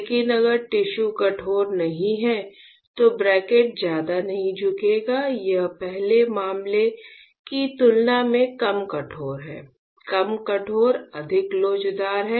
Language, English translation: Hindi, But if the tissue is not stiff, then my cantilever will not bend much right this is less stiff compared to the first case; less stiff is more elastic right